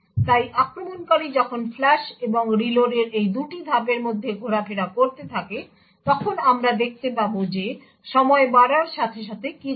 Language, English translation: Bengali, So while the attacker keeps toggling between these 2 steps of flush and reload, we would see what happens as time progresses